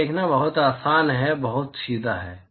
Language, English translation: Hindi, It is very easy very straightforward to see this